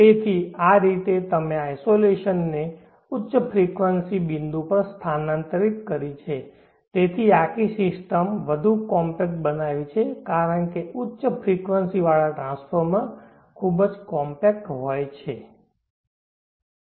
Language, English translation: Gujarati, So in this way you have shifted the isolation to the high frequency point thereby, making the whole system more compact, because the high frequency transformers are very compact